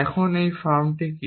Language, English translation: Bengali, Now what are these actions